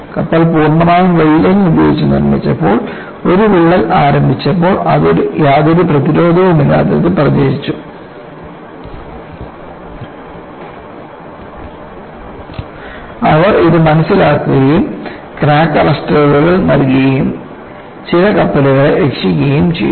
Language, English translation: Malayalam, When the complete ship was made up welding when a crack in got initiated; it propagated without anyresistance; this, they understood; they provided crack arresters and they salvaged some of the ships